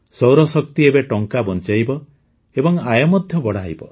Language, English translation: Odia, The power of the sun will now save money and increase income